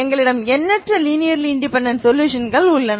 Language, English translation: Tamil, So you can find two linearly independent solutions